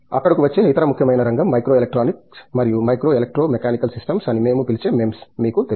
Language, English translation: Telugu, The other important area that is come up there is Microelectronic and you know MEMS what we called as, Micro Electro Mechanical Systems